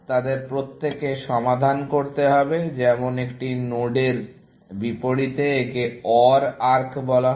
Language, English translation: Bengali, Every one of them has to be solved, as opposed to such a node; this is called an OR arc